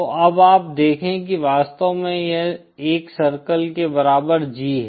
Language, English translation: Hindi, So now see you have actually this is the G equal to 1 circle